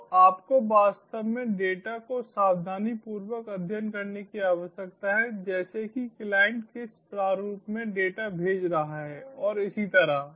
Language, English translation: Hindi, so you need to actually study the data very carefully, like what format the client is sending a data and so on